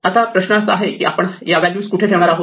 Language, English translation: Marathi, Now, the question is where do we keep these values